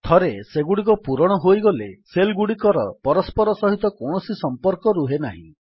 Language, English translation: Odia, Once they are filled, the cells have no further connection with one another